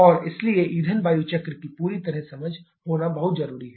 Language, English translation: Hindi, And therefore, it is very important to have a complete understanding of the fuel air cycle